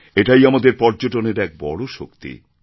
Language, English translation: Bengali, This is the power of our tourism